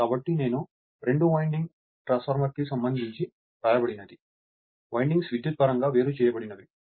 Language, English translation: Telugu, So, something I have written perhaps right for two winding transformers, the windings are electrically isolated that you have seen right